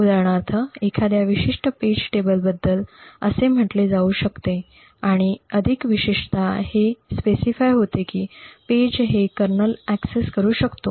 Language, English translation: Marathi, For example this may be say of a particular page table and more particularly this may specify that a page is accessible only by the kernel